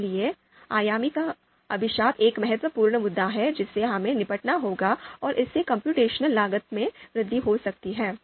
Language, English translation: Hindi, So therefore, the curse of dimensionality is an you know important issue that we have to deal with and it might might lead to lead to computational cost